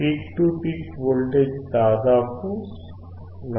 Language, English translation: Telugu, The peak to peak voltage is almost 4